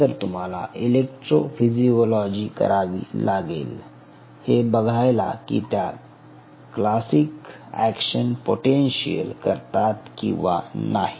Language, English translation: Marathi, they should be: you should do an electrophysiology to see whether they should the classic action potential like that or not